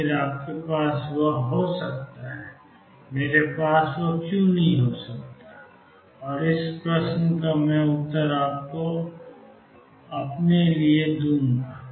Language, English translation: Hindi, After all you could have that, why cannot I have that 'and this question I will let you answer for yourself